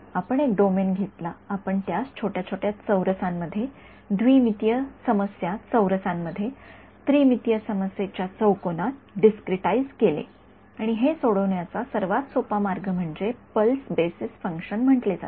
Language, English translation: Marathi, We took a domain and we discretized it into little little squares, in a 2D problems squares, in a 3D problem cubes right and the simplest way to solve this was using what is called a pulse basis function